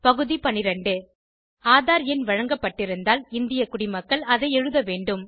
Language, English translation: Tamil, Item 12 Citizens of India, must enter their AADHAAR number, if allotted